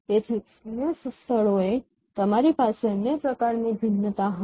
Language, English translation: Gujarati, So in other locations you will have other kind of variation